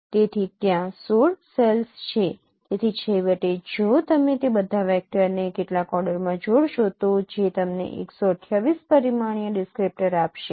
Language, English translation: Gujarati, So since there are 16 cells, so finally if you concatenate all those vectors into some order that would give you 128 dimensional descriptor